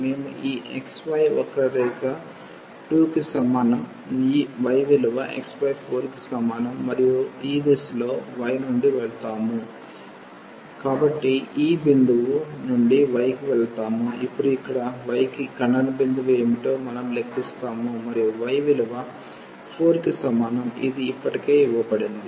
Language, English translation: Telugu, We are going from this curve which is x y is equal to 2 to this curve which is y is equal to x by 4, and in this direction we will go from y from this point which we will compute now what is the point of intersection here to y is equal to 4 which is already given